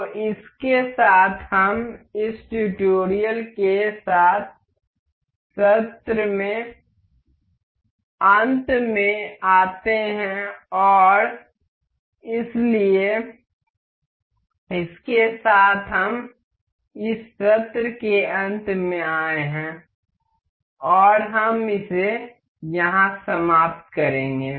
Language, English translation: Hindi, So, with this we this with this this tutorial comes to end of the session and so, with this we have come to an end of this session and we will wrap this up here only and